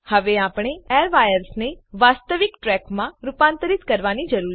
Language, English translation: Gujarati, Now we need to convert these airwires in to actual tracks